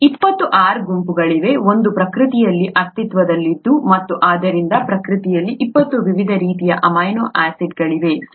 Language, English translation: Kannada, It so happens that there are twenty R groups, that exist in nature and therefore there are 20 different types of amino acids that exist in nature, right